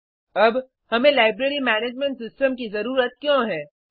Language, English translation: Hindi, Now, Why do we need a Library Management System